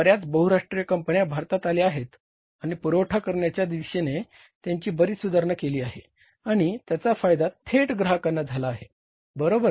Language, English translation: Marathi, Many multinational companies have come to India and supply side has improved a lot tremendously and the benefit of that has directly gone to the customers